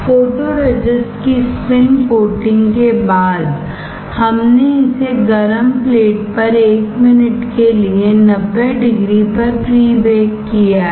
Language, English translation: Hindi, After spin coating photoresist we will pre bake it, pre baked 90 degree 1 minute